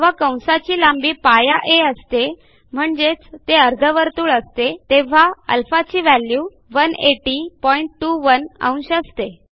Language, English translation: Marathi, We notice that when the arc length is [π a] that is a semi circle, the value of α is 180.21 degrees